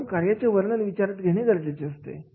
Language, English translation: Marathi, So that job descriptions are to be taken into the considerations